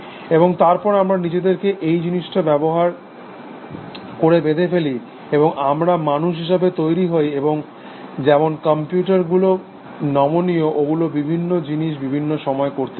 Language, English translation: Bengali, And then essentially, we build ourselves using this thing and therefore, we become human beings and, just like computers are flexible, and they can do different things, at different times